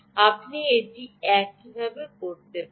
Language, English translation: Bengali, you can do it this way